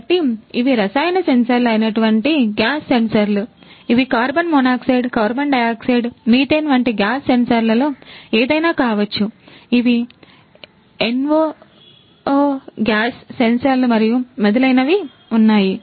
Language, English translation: Telugu, So, these are the chemical sensors likewise gas sensors could be any of the gas sensors like carbon monoxide, carbon dioxide, methane, gas sensor; there is those nox gas sensors and so on